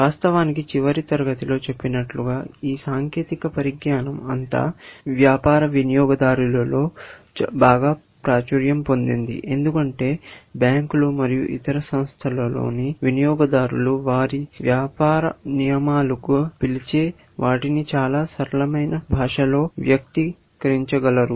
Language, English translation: Telugu, Eventually, as I said in my last class, this technology, all this has stabilized into something, which is more popular among business users, because users in banks and other such organizations; they are able to express what they call as business rules in a very simple language, and the rest of the programs takes care of everything else, essentially